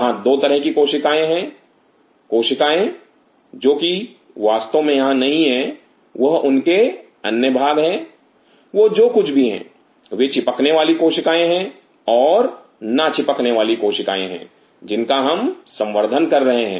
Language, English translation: Hindi, There are 2 kind of cells; Cells which are not here of course they are other parts of what they have, they are Adhering cell and Non Adhering cells which cells are we culturing